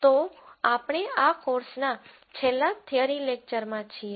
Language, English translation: Gujarati, So, we are into the last theory lecture of this course